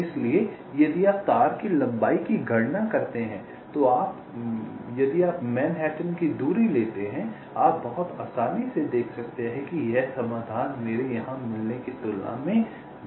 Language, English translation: Hindi, so if you compute the wire length, if you take the manhattan distance, then you can see very easily that this solution is worse as compared to what i get here